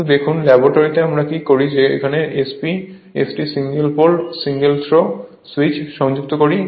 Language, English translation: Bengali, But look into that in laboratory what we do that we are connected one SP ST single pole single throw switch